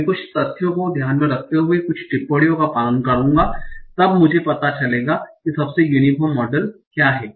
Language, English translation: Hindi, So, I will take some facts, some observations, given the observations, I will find out what is the most uniform model